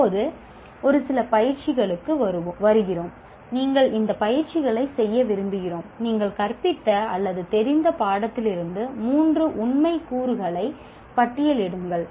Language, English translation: Tamil, Now, coming to a few exercises, we would like you to list three factual elements from the course you taught are familiar with